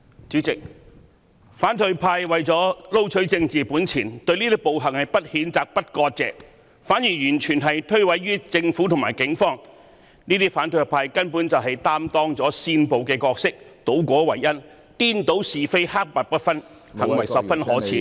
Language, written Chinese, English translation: Cantonese, 主席，反對派為了撈取政治本錢，對這些暴行不譴責、不割席，反而完全諉過於政府及警方，這些反對派根本擔當了煽暴的角色，他們倒果為因，顛倒是非，黑白不分，行為十分可耻......, President for the sake of capturing political capital the opposition camp did not condemn or sever ties with these violence acts . Instead they blamed it all on the Government and the Police . The opposition camp is actually inciting violence